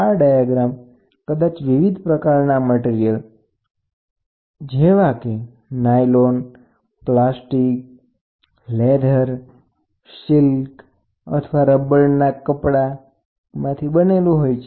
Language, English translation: Gujarati, This diaphragm may be made of a variety of material such as nylon, plastic, leather, silk or rubberized fabric